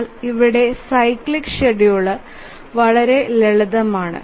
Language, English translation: Malayalam, But here the cyclic scheduler is very simple